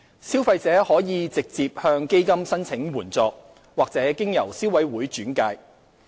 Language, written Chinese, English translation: Cantonese, 消費者可直接向基金申請援助，或經由消委會轉介。, Consumers may apply directly to the Fund or through referral by the Consumer Council